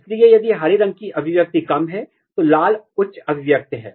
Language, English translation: Hindi, So, if green is less expression, red is high expression